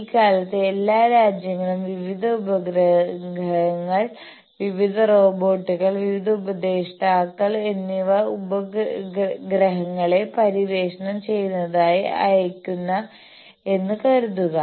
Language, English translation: Malayalam, Suppose all the countries are nowadays sending the planetary explorating various satellites, various robots, various orbitors